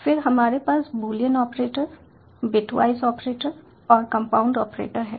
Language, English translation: Hindi, then we have boolean operators, bitwise operators and compound operators